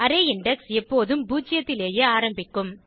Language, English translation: Tamil, Array index starts from zero always